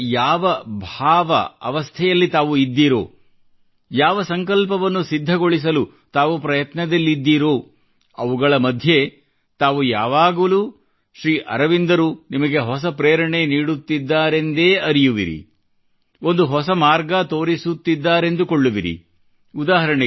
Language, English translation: Kannada, The state of inner consciousness in which you are, where you are engaged in trying to achieve the many resolves, amid all this you will always find a new inspiration in Sri Aurobindo; you will find him showing you a new path